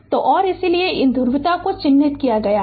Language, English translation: Hindi, So, and so, these these polarity is marked